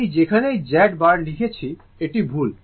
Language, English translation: Bengali, Wherever Z bar I have written, it is by mistake